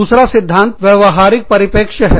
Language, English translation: Hindi, The second theory is the behavioral perspective